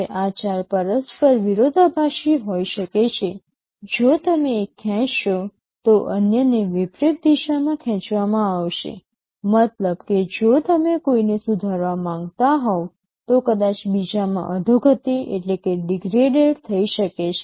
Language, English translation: Gujarati, Now, these four can be mutually conflicting; if you pull one, the others will be pulled in the reverse direction, means if you want to improve one maybe the others might get degraded